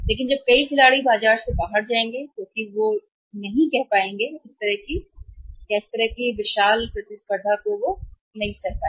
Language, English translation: Hindi, But tomorrow when the many players will go out of the market because they would not be able to say have the competition with this kind of the gaint in the market